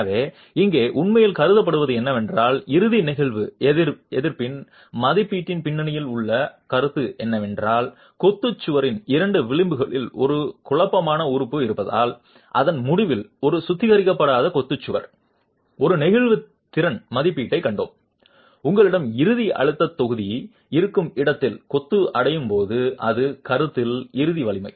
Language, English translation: Tamil, So, what is really being considered here the concept behind the estimate of the ultimate flexual resistance is that with the presence of a confining element, with the presence of a confining element at the two edges of the masonry wall, an unreinforced masonry wall at its ultimate, we have seen a flexual capacity estimate where you have the end stress block when masonry reaches its ultimate strength in compression